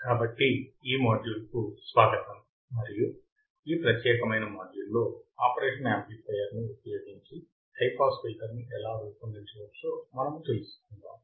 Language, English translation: Telugu, So, welcome to this module and in this particular module, we will see how the high pass filter can be designed using the operational amplifier